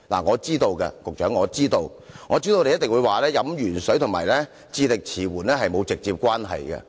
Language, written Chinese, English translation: Cantonese, 局長，我知道你一定會說飲鉛水和智力遲緩沒有直接關係。, Secretary I know you would immediately say that there is no direct relationship between drinking lead water and mental retardation